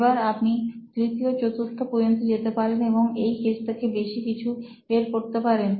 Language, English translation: Bengali, Now you could go three levels, four levels and get more out of this case